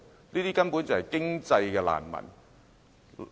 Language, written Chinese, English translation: Cantonese, 這些根本就是經濟難民。, They are simply economic refugees